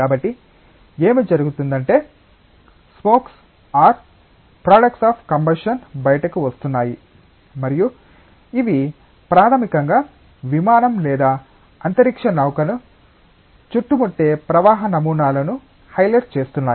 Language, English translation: Telugu, So, what is happening is that the smokes or products of combustion are coming out, and these are basically highlighting the flow patterns that are surrounding the aircraft or the spacecraft